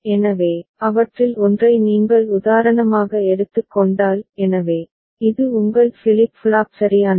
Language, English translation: Tamil, So, if you just take one of them as the example; so, this is your A flip flop right